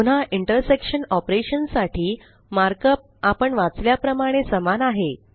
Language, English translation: Marathi, The markup for an intersection operation is again the same as we read it